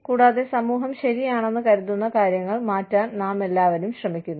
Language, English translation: Malayalam, And, we all attempt to change things, that the society considers is right